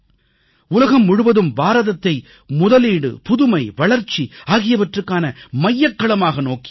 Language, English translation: Tamil, The whole world is looking at India as a hub for investment innovation and development